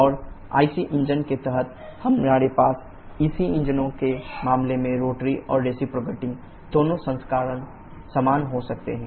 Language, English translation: Hindi, And there under IC engines we can have both rotary and reciprocating version same in case of EC engines as well